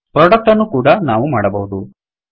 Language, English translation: Kannada, We can also create product